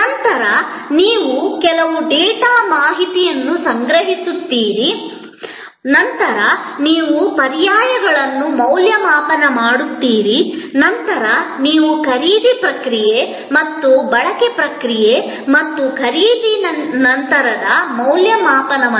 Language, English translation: Kannada, Then, you gather some data information, then you evaluate alternatives, then you have the purchase process and consumption process and post purchase evaluation